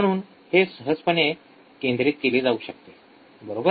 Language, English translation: Marathi, So, it can be focused easily, right this one